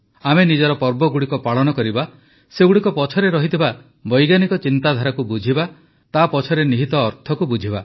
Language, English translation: Odia, Let us celebrate our festivals, understand its scientific meaning, and the connotation behind it